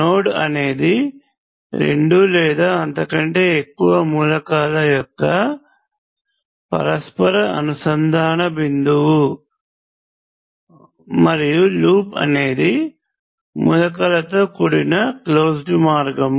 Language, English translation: Telugu, Node is point of interconnection of two or more elements and loop is a closed path consisting of elements